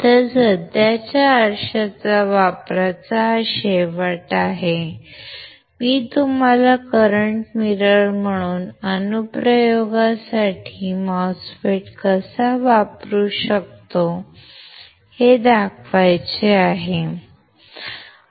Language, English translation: Marathi, So, this is end of application of current mirror, I just wanted to show to you that how we can use MOSFET for a particular application that is the current mirror